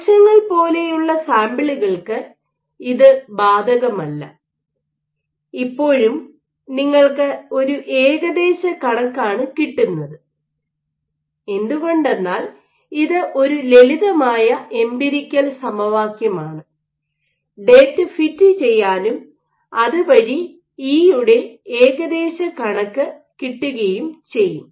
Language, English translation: Malayalam, So, this is clearly not applicable for samples like cells, but still this is an approximation you make because this is a simple empirical equation with which you can fit your data and get estimates of E